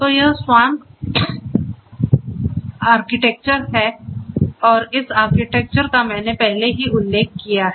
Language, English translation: Hindi, So, this is the SWAMP architecture and in this architecture as I mentioned already